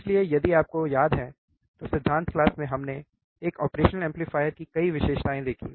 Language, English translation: Hindi, So, if you remember, in the in the theory class we have seen, several characteristics of an operational amplifier